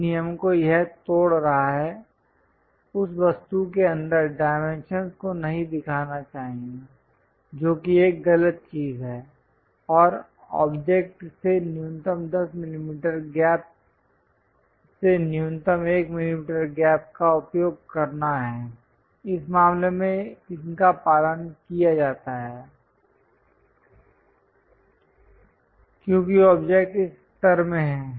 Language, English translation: Hindi, The rule it is breaking, one should not show dimensions inside of that object that is a wrong thing and minimum 1 millimeter gap from the ah 10 millimeter gap one has to use from the object, in this case these are followed because object is in this level